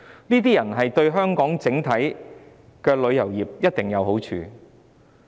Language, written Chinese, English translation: Cantonese, 這些遊客對香港整體的旅遊業一定有好處。, These tourists will definitely benefit Hong Kongs tourism industry as a whole